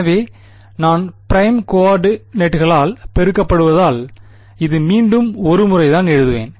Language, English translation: Tamil, So, because I am multiplying by prime coordinates, I can this is just once again I will write it